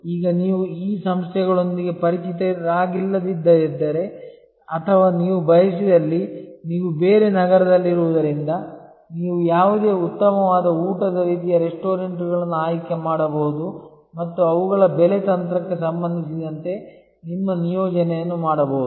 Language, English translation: Kannada, Now, if you are not familiar with these organizations or you prefer, because you are located in a different city, you can choose any fine dining sort of restaurant and do your assignment with respect to their pricing strategy